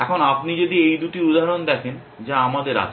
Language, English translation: Bengali, Now, if you look at this two examples that we have